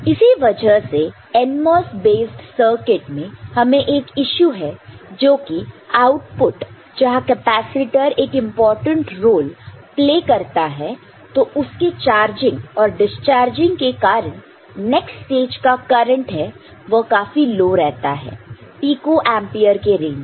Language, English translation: Hindi, Because of which in the NMOS based circuit, we are having an issue that the output where the capacitor plays a very important role the at the output junction, charging and discharging of it because the current it the next stage will take is very low of the order of picoampere or so